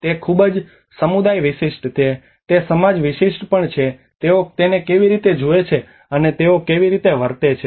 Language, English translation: Gujarati, It is very community specific, it is also society specific how they look at it how they see it how they behave to it